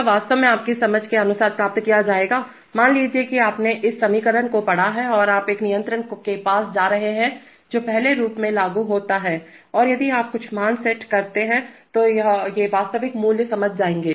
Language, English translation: Hindi, Are, will be actually obtained according to your understanding, suppose you have read this equation and you are going to a controller which implements in the first form and if you set some values then these the actual values will be realized are, will not be equal, so that needs to be remembered all right